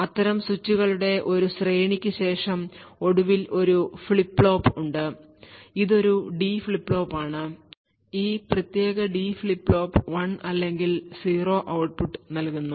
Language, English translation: Malayalam, After a series of such switches we eventually have a flip flop, this is a D flip flop, this particular D flip flop gives an output of 1 or 0